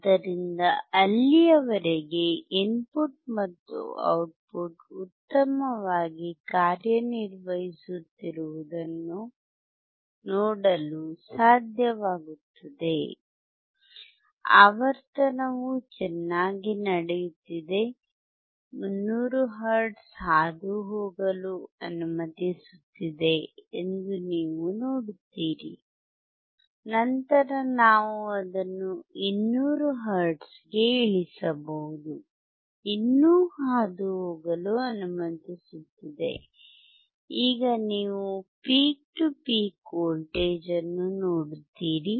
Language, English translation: Kannada, So, you until that you will be able to see that the input and output are working well, the frequency is going well, you see that 300 hertz is allowing to pass, then we can reduce it to 200 hertz is still allowing to pass, now you see the peak to peak voltage